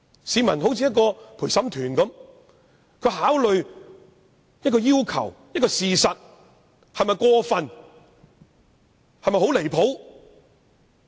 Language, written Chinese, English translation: Cantonese, 市民恍如陪審團，會考慮要求是否過分或離譜。, The public are like a jury . They are capable of judging whether the request is outrageous or has gone too far